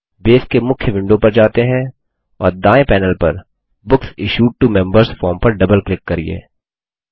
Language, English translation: Hindi, let us go to the Base main window, and double click on the Books Issued to Members form on the right panel